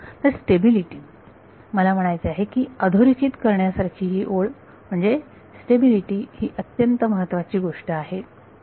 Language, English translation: Marathi, So, stability what I mean the bottom line is stability is the important thing ok